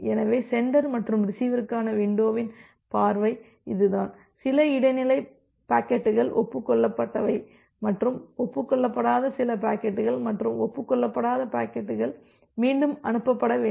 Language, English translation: Tamil, So, that is the view of window for the sender and the receiver where certain intermediate packets got acknowledged and some of the packets that are not got acknowledged and the packets which are not got acknowledged, that need to be retransmitted